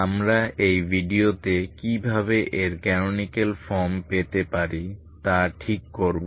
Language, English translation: Bengali, We will work out how to get its canonical form in this video ok